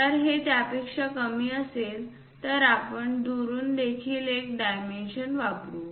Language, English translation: Marathi, If it is less than that we use other dimension from away, like that